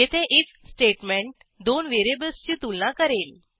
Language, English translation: Marathi, This if statement compares two variables